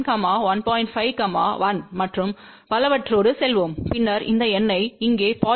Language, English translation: Tamil, 5, 1 and so on and then you see this number here 0